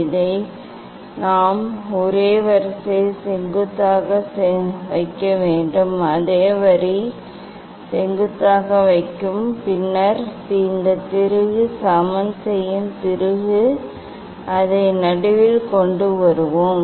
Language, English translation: Tamil, then we have to put this one we have to put this one in the same line in vertical vertically, same line will put vertically and then we will adjust this screw leveling screw to bring it at middle